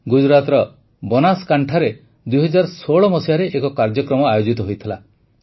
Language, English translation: Odia, An event was organized in the year 2016 in Banaskantha, Gujarat